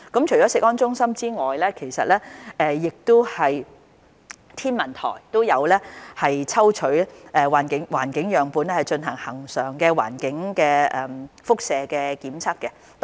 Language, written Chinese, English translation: Cantonese, 除食安中心外，香港天文台亦有抽取環境樣本進行恆常的環境輻射監測。, Apart from CFS the Hong Kong Observatory has also been conducting regular environmental radiation monitoring on environmental samples